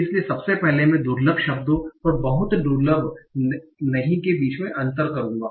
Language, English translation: Hindi, So firstly, I will differentiate between the rare words and not so rare words